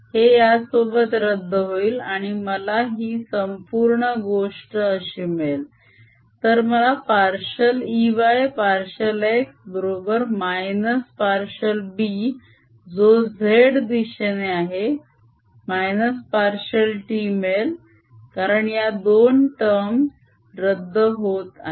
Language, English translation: Marathi, then gives me partial e y, partial x is equal to minus partial b, which is in z direction, partial t, because these two terms also cancels